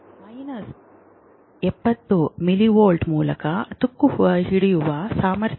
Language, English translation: Kannada, Minus 70 millivolt is the basic resting potential